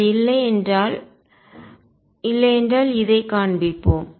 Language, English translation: Tamil, If it was not, So let us show this if it was not